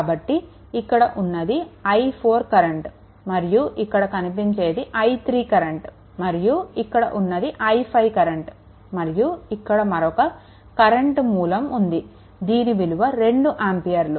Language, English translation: Telugu, So, this current we took of this current we took of i 4 and this current we took i 3 right and this one we took i 5 one current source is there 2 ampere current source is there